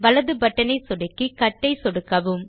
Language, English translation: Tamil, Right click on the mouse and then click on the Cut option